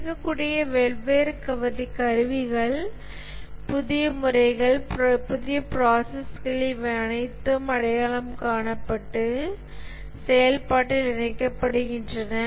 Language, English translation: Tamil, The different tools that are become available, new methods, new processes, these are all identified and incorporated into the process